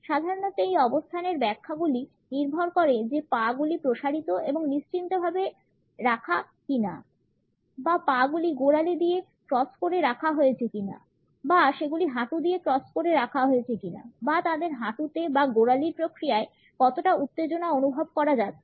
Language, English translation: Bengali, Interpretations of this commonly come across position depend on whether the legs are out stretched and relaxed or they are crossed at the ankles or they are crossed at the knees or how much tension is perceptible in their knees or in the ankle process